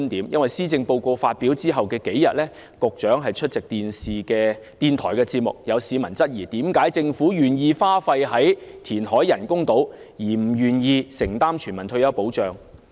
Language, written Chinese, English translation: Cantonese, 因為施政報告發表後的數天，局長出席電視電台節目時，有市民質疑，為何政府願意花費在填海興建人工島上，卻不願意承擔全民退休保障。, When the Secretary attended a radio programme a few days after the publication of the Policy Address some members of the public queried why the Government was willing to invest in reclamation projects for the construction of artificial islands but was reluctant to commit itself to the implementation of a universal retirement protection scheme